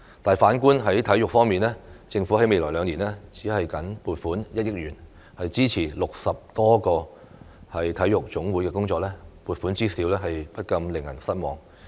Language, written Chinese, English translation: Cantonese, 但反觀體育方面，政府在未來兩年僅撥款1億元支持60多個體育總會的工作，撥款之少不禁令人失望。, In terms of sports however the Government will only allocate 100 million in the coming two years to support the work of some 60 national sports associations . The funding is so minuscule that people are disappointed